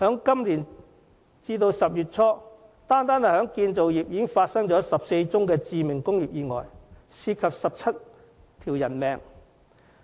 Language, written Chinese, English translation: Cantonese, 今年截至10月初，單是建造業已發生14宗致命工業意外，涉及17條人命。, As at early October this year there were 14 fatal industrial accidents in the construction industry alone claiming 17 lives